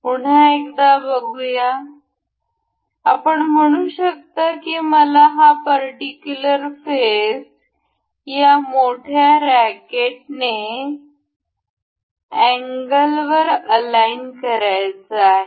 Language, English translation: Marathi, Once again, you can see say I want to align this particular face over this larger rectangle